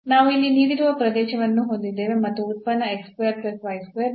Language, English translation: Kannada, So, again we have the similar problem, we have the region given here and this function x square plus y square